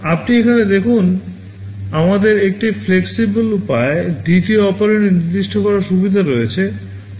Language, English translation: Bengali, You see here we have a facility of specifying the second operand in a flexible way